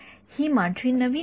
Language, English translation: Marathi, This is the new definition I have introduced